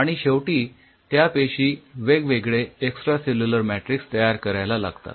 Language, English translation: Marathi, so these cells were adapting to different extracellular matrix at the initially